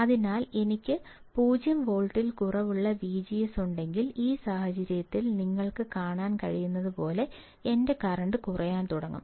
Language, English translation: Malayalam, So, if I have V G S less than 0 volt, in this case my current will start decreasing, as you can see